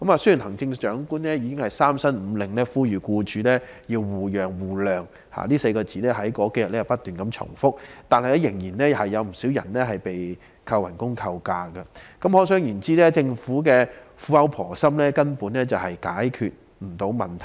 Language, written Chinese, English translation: Cantonese, 雖然行政長官已三申五令呼籲僱主要互讓互諒——這4個字在當天不斷重複出現——但仍有不少僱員被扣減工資或假期，可想而知政府的苦口婆心根本無法解決問題。, Although the Chief Executive had repeatedly appealed to employers for mutual accommodation and mutual understanding―a phrase which had been reiterated that day―quite a number of employees still had their wage or leave day deducted . As you can imagine the kind and compassionate exhortation of the Chief Executive could not solve the problem at all